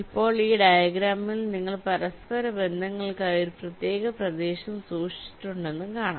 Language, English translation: Malayalam, now you see, in this diagram you have kept a separate area for the interconnections